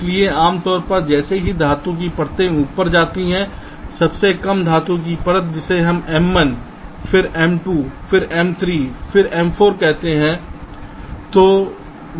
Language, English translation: Hindi, so, as the metal layers go up, the lowest metal layer, we call it m one, then m two, then m three, then m four, like that